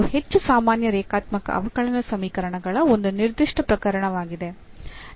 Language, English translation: Kannada, So, that is a particular case of more general linear differential equations